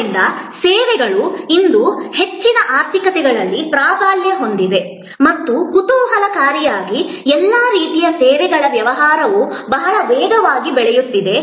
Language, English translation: Kannada, So, services today dominate most economies and most interestingly all types of services business are growing very rapidly